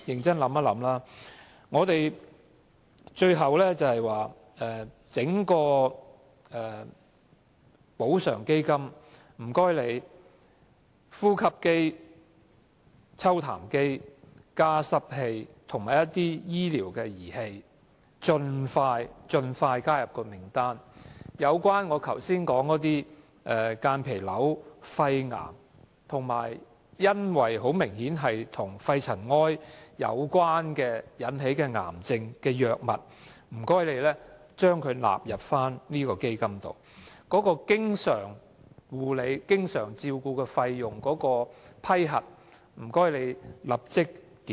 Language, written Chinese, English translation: Cantonese, 最後，懇請當局盡快把呼吸機、抽痰機、加濕機及其他相關醫療儀器列入基金的資助清單，亦請把間皮瘤、肺癌及明顯與肺塵埃有關的癌症的藥物納入清單，以及立即檢討經常照顧費的批核程序。, Lastly I implore the authorities to expeditiously put breathing machines sputum suction machines humidifiers and other relevant medical appliances into the list of appliances financed by the Fund . Drugs for mesothelioma lung cancer and other cancers clearly linked to dust in lung tissue should also be put on the list . Moreover the authorities should conduct an immediate review on the approval procedure of the constant attendance allowance